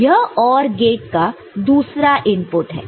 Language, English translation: Hindi, So, this is another input of the OR gate, ok